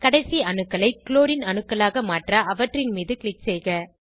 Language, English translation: Tamil, Click on the terminal atoms to replace them with Clorine atoms